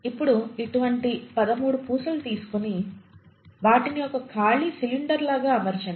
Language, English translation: Telugu, Now take such 13 such strings and arrange them in the form of a cylinder, a hollow cylinder